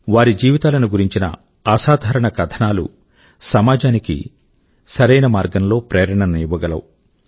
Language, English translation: Telugu, The extraordinary stories of their lives, will inspire the society in the true spirit